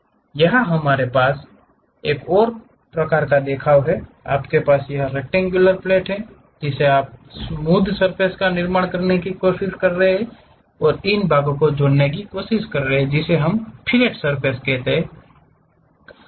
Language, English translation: Hindi, Here we have another kind of representation, you have this rectangular plate rectangular plate you try to construct this smooth surface and try to add to these portions, that is what we call fillet surface